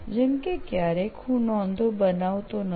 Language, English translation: Gujarati, Like sometimes I do not prepare notes